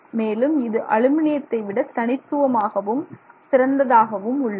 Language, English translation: Tamil, Of course it is distinctly better than aluminum